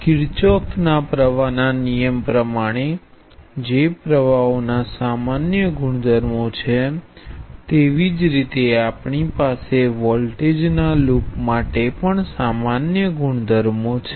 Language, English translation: Gujarati, Now just like this Kirchhoff’s current law which is the general properties of currents, we have general properties of voltages around a loop and that is given by Kirchhoff’s voltage law